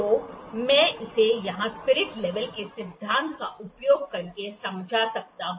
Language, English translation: Hindi, So, I can explain this using the principle of the spirit level here